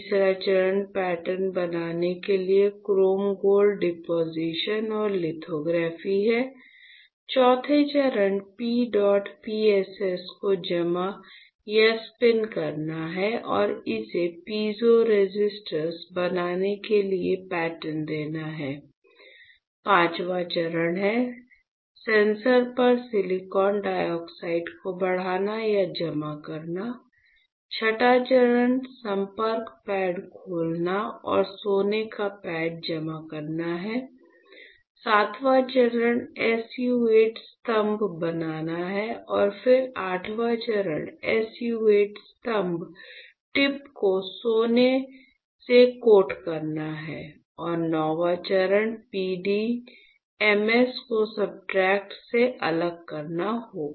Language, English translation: Hindi, Third step is chrome gold deposition and lithography to form pattern; fourth step is to deposit or spin coat P dot PSS and pattern it to form piezo resistors; fifth step is to grow or deposit silicon dioxide on the sensor; sixth step is to open the contact pads and to deposit a gold pad; the seventh step is to form the SU 8 pillars and then eighth step is to coat the SU 8 pillar tip with gold and ninth step would be to strip the PDMS from the substrate